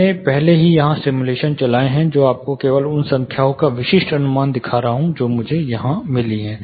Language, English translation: Hindi, I have already run the simulations here; I am just showing you specific estimates of numbers which I have got here